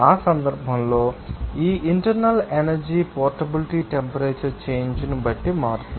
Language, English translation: Telugu, And in that case, this internal energy portability change that actually, depending on the temperature change